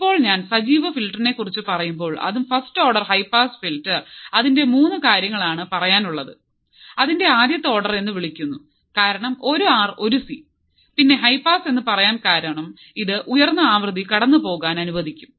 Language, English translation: Malayalam, Now if I talk about active filter, first order high pass filter, 3 things are, it’s called first order because 1 R, 1 C, then high pass because it will allow the high frequency to pass